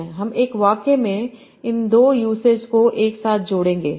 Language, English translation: Hindi, I would combine these two uses together in a single sentence